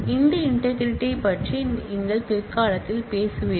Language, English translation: Tamil, We will talk about this integrity at a later point of time